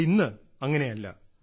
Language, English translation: Malayalam, But today it is not so